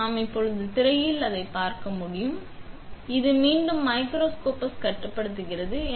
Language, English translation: Tamil, So, we can look for those on the screen now and pretty much what you do is, this controls the microscopes in the back